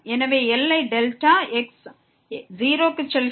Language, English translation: Tamil, So, the limit delta goes to 0